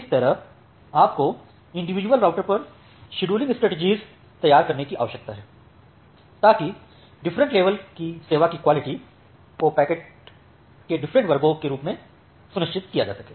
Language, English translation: Hindi, So, that way you need to design a scheduling strategy at individual routers so that different level of quality of service can be ensured of different classes of packets